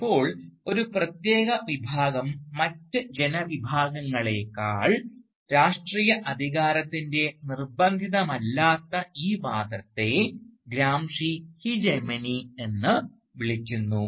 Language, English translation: Malayalam, Now, this non coercive assertion of political authority by a particular class over other groups of people is referred to by Gramsci as hegemony